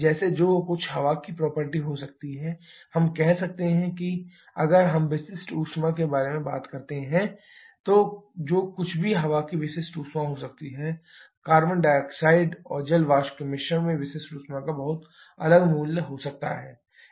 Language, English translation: Hindi, Like whatever may be the property of air let us say, if we talk about the specific heat, whatever may be the specific heat of air, mixture of carbon dioxide and water vapour may have a very much different value of the specific heat